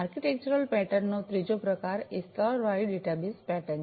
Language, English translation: Gujarati, The third type of architectural pattern is the layered databus pattern